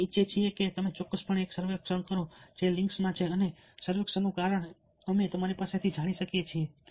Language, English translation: Gujarati, we want you to definitely take a survey, ah, which is there in the links, and the reason for the survey is we can learn from you